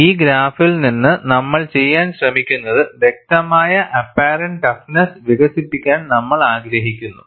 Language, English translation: Malayalam, And from this graph, what we are trying to do is, we want to develop the concept of apparent toughness